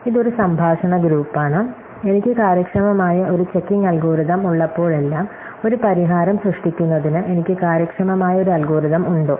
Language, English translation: Malayalam, So, it is a converse group, is it possible that whenever I have an efficient checking algorithm, I also have an efficient algorithm to generate a solution